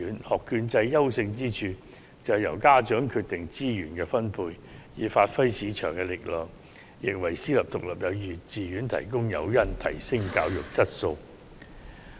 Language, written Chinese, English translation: Cantonese, 學券制的優勝之處，是由家長決定資源分配，以發揮市場力量，亦為私立獨立幼稚園提供提升教育質素的誘因。, The advantage of an education voucher system is that the allocation of resources will be decided by parents thereby allowing market forces to play their role and giving incentives for private independent kindergartens to enhance the quality of education